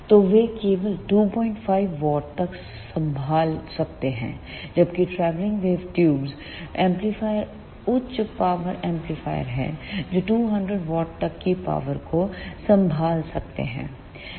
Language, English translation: Hindi, 5 watts only; whereas, the travelling wave tube amplifiers are the high power amplifiers when which can ah handle up to 200 watts of power